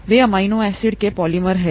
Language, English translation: Hindi, They are polymers of amino acids